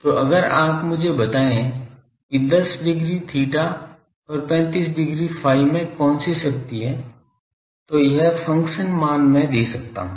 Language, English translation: Hindi, So, if you tell me what is the power in 10 degree theta and 35 degree phi , this function value I can give